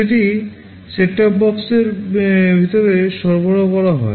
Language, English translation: Bengali, That facility is provided inside that set top box